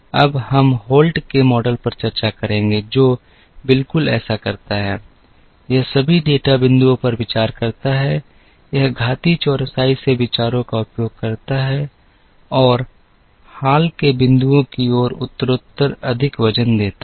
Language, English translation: Hindi, We will now discuss the Holt’s model, which does exactly that, it considers all the data points, it uses ideas from exponential smoothing and it gives progressively more weights, towards recent points